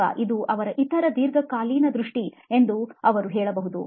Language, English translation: Kannada, Or he could say this is his other long term vision